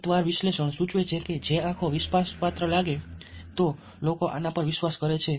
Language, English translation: Gujarati, a detailed analysis suggested that, ah, if the eyes look trustworthy, people tended to believe this people